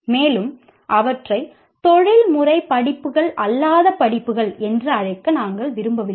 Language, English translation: Tamil, And we didn't want to call them as non professional courses